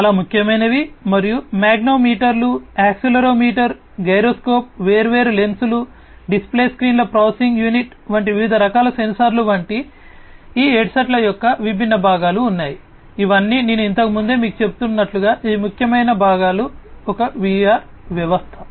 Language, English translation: Telugu, So, this one this one, etcetera, these are very important and there are different components of these headsets like different types of sensors, like magnetometers, accelerometer, gyroscope, etcetera the different lenses, display screens processing unit all these as I was telling you earlier these are the important components of a VR system